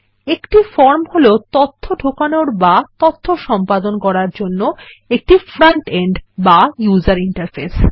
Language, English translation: Bengali, A form is a front end or user interface for data entry and editing data